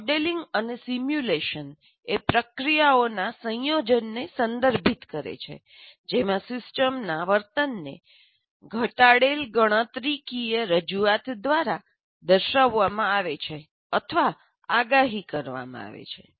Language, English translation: Gujarati, And modeling and simulation are referred to a combination of processes in which a system's behavior is demonstrated or predicted by a reductive computational representation